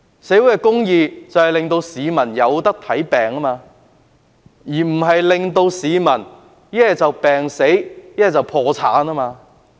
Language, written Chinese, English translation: Cantonese, 所謂社會公義，就是令市民可以求醫，而不是令市民不是病死，就是破產。, With social justice the public can seek medical consultation rather than dying of illness or going bankrupt